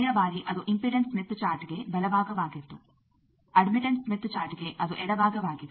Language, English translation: Kannada, Last time it was right side for impedance smith chart, for admittance smith chart it is left side